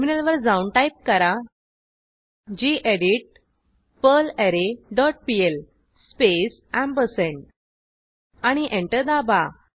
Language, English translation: Marathi, Switch to terminal and type gedit perlArray dot pl space and press Enter